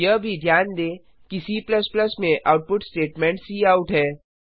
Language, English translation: Hindi, Also, notice that the output statement in C++ is cout